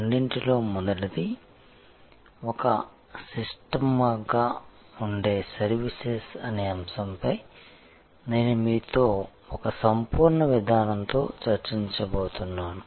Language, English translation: Telugu, First of all, I am going to discuss with you, the topic of Services as Systems, with a Holistic Approach